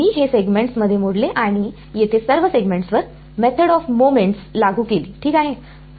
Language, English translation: Marathi, I broke up this into segments and applied a method of moments over here on each of the segments ok